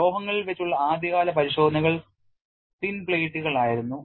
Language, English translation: Malayalam, You have to look at what are the early attempts and early tests on metals were for thin plates